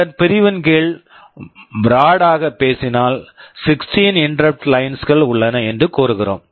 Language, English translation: Tamil, Under this category broadly speaking we say that there are 16 interrupt lines